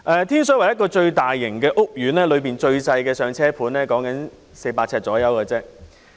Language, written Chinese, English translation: Cantonese, 天水圍一個最大型屋苑，當中最細小的"上車盤"約400平方呎。, In the largest housing estates in Tin Shui Wai the size of the smallest units targeting first - time home buyers is about 400 sq ft